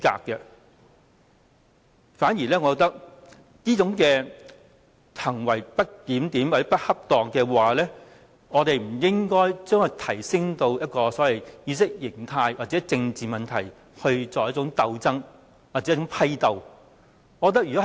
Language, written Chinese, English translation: Cantonese, 我反而認為，我們不應該就着這種不檢點或不恰當的行為，提升至意識形態或政治問題的鬥爭或批鬥。, Rather I think this disorderly or improper behaviour should not be escalated to an ideological or political fight or struggle